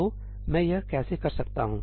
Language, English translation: Hindi, So, how can I do that